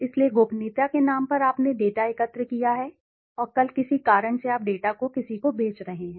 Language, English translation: Hindi, So in the name of confidentiality you have collected the data, and tomorrow for some reason you are selling the data to somebody